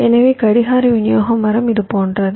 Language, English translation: Tamil, so clock distribution tree looks something like this